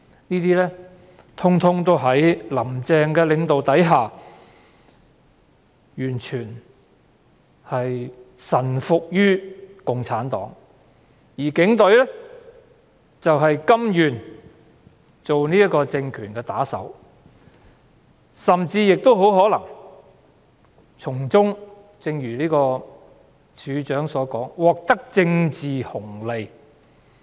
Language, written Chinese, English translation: Cantonese, 這些通通在"林鄭"的領導下，完全臣服於共產黨，而警隊則甘願作為政權的打手，甚至亦很可能從中——正如警務處處長早前所說——獲得政治紅利。, As for the Police Force they are prepared to act as henchmen for the regime and may in return obtain some political dividends as mentioned by the Commissioner of Police earlier